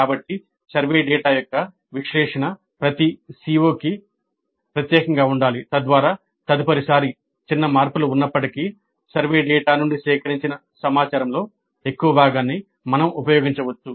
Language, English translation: Telugu, So the analysis of the survey data must be specific to each CO so that next time even if there are minor changes we can use a large part of the information gathered from the survey data